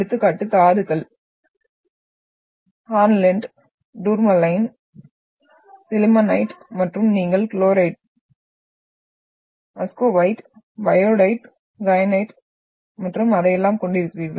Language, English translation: Tamil, Example, the minerals are hornblende, tourmaline, sillimanite and then you are having chlorite, Muscovite, biotite, kyanite and all that